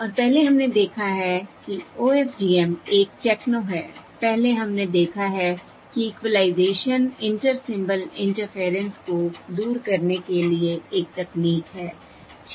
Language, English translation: Hindi, And now what we are saying is that OFDM is another technology which can overcome this inter symbol interference, and very efficiently